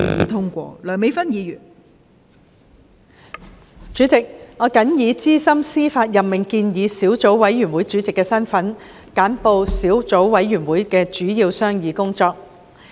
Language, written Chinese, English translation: Cantonese, 代理主席，我謹以資深司法任命建議小組委員會主席的身份，簡報小組委員會的主要商議工作。, Deputy President in my capacity as the Chairman of the Subcommittee on Proposed Senior Judicial Appointment I would like to briefly report the major deliberations of the Subcommittee